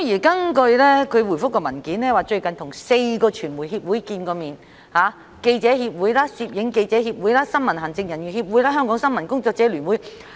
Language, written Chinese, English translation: Cantonese, 主體答覆表示，警務處處長最近與4個傳媒協會會面，包括香港記者協會、香港攝影記者協會、新聞行政人員協會及香港新聞工作者聯會。, According to the main reply the Commissioner of Police has recently met with four media associations namely Hong Kong Journalists Association Hong Kong Press Photographers Association Hong Kong News Executives Association and Hong Kong Federation of Journalists